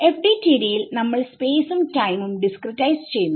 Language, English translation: Malayalam, So, in FDTD we are discretizing space and time right